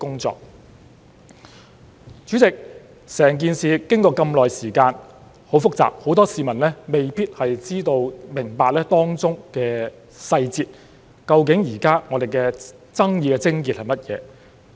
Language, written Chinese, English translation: Cantonese, 主席，整件事經過這麼久，很複雜，很多市民未必知道及明白當中細節，究竟現在我們爭議的癥結是甚麼。, President the entire issue has been dragged on for a prolonged period and is very complicated . Many members of the public may not be aware of and understand the details and what the crux of our debate is